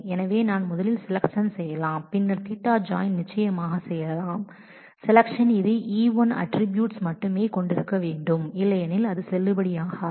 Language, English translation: Tamil, So, I can first do the selection and then do the theta join of course, for the selection it must involve only the attributes of E1, otherwise this will not be valid